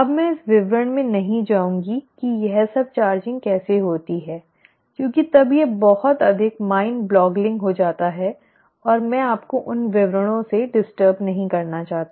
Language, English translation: Hindi, Now I am not going to get into details of how all this charging happens because then it becomes too mind boggling and I do not want to bother you with all those details